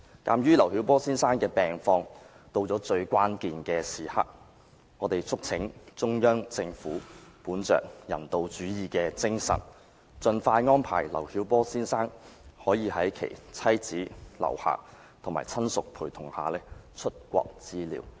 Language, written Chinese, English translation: Cantonese, 鑒於劉曉波先生的病況到了最關鍵時刻，我們促請中央政府本着人道主義的精神，盡快安排劉曉波先生可以在其妻子劉霞及親屬陪同下出國治療。, As Mr LIU Xiaobos disease has reached the most critical stage we urge the Central Government to make arrangements for Mr LIU Xiaobo to leave the country with his wife LIU Xia and family members for medical treatment as soon as possible on humanitarian grounds